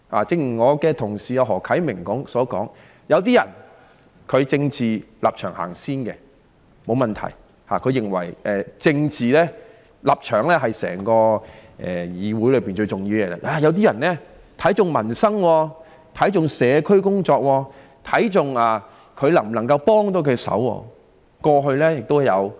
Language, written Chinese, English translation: Cantonese, 正如我的同事何啟明議員所說，有一些人以政治立場先行，他們認為政治立場是整個議會最重要的東西，這不是問題；有一些人卻重視民生、社區工作及能否幫助市民。, As my Honourable colleague Mr HO Kai - ming has said some people put ones political stance ahead of other things who consider political stance the most important thing in the entire Council―it is no problem at all―whereas some attach great importance to peoples livelihood community work and whether they can be of any help to members of the public